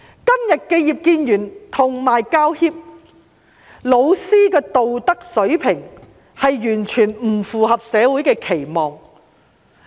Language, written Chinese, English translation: Cantonese, 今天，葉建源議員、教協和教師的道德水平，完全不符合社會的期望。, Today the moral standard of Mr IP Kin - yuen HKPTU and teachers does not live up to the expectation of society at all